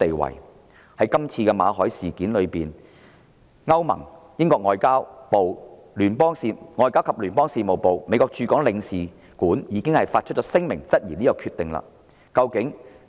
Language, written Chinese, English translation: Cantonese, 馬凱的簽證續期被拒後，歐盟、英國外交及聯邦事務部及美國駐港總領事館已發出聲明質疑這項決定。, After the Governments refusal to renew the work visa of Victor MALLET the European Union the British Foreign and Commonwealth Office and the Consulate General of the United States in Hong Kong had all issued statements to challenge the decision